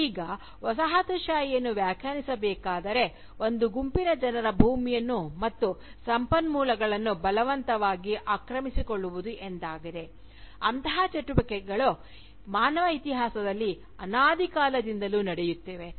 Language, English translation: Kannada, Now, if Colonialism is to be defined, as the forceful occupation of the land and resources, of one group of people by another, then such activities, has been going on, in the human history, from time immemorial